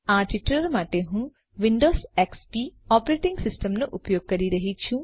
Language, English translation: Gujarati, For this tutorial I am using Windows XP operating system